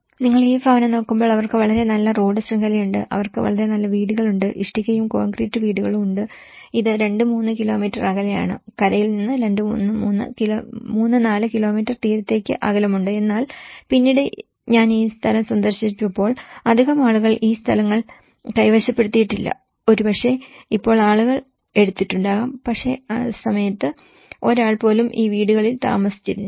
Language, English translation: Malayalam, And when you look at this housing, they have a very good road network, they have very good houses, brick and concrete houses, this is slightly far away like 2, 3 kilometres; 3, 4 kilometers from the shore but then at least when I visited this place not many people have occupied this places, maybe now people might have taken but at that point of time not even a single person have occupied these houses